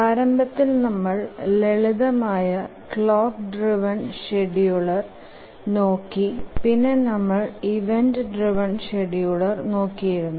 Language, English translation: Malayalam, Initially we looked at simple, even simple clock driven schedulers and later we have been looking at event driven schedulers